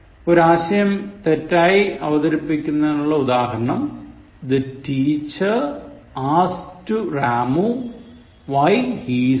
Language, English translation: Malayalam, Wrong way to present this idea; The teacher asked to Ramu why he is late